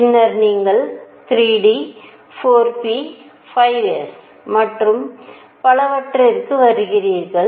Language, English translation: Tamil, And then you come to 3 d, 4 p, 5 s and so on